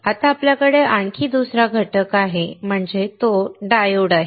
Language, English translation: Marathi, Now we we have another component; We have a diode